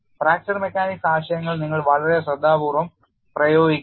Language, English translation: Malayalam, You have to apply fracture mechanic concepts very, very carefully